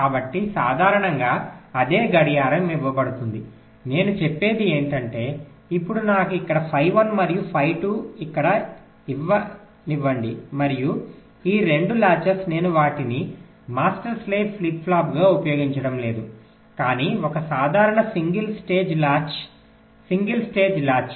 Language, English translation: Telugu, what i am saying is that now let me feed phi one here and phi two here and these two latches i am not using them as master slave flip flop, but aS simple single stage latches, single stage latch